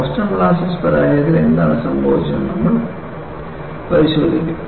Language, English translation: Malayalam, We will look at what happened in the Boston molasses failure